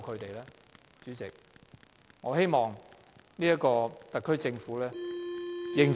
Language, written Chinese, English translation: Cantonese, 代理主席，我希望特區政府認真檢討。, Deputy President I hope that the SAR Government will review the matter seriously